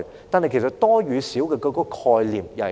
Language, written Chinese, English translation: Cantonese, 但其實多與少的概念是甚麼？, But actually what is the concept of being large or small in quantity?